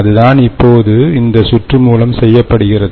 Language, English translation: Tamil, so that is what is done now by this circuit or these components